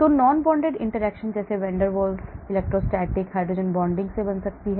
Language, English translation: Hindi, So non bonded interactions can be made up of van der Waals, electrostatic and hydrogen bonding